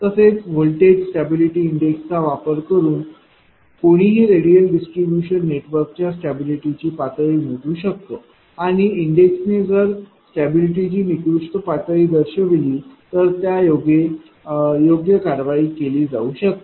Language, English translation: Marathi, So, by using this voltage stability index one can measure the level of stability of radial distribution networks and thereby appropriate action may be taken if the index indicates a poor level of stability